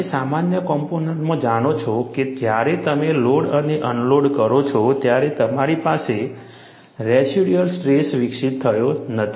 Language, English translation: Gujarati, You know, in a normal component, when you load and unload, you do not have residual stresses developed